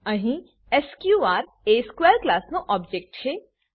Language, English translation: Gujarati, Here, sqr is the object of class square